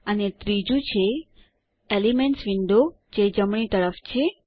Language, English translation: Gujarati, And the third is the Elements window that floats on the right